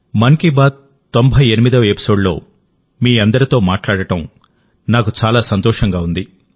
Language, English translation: Telugu, I am feeling very happy to join you all in this 98th episode of 'Mann Ki Baat'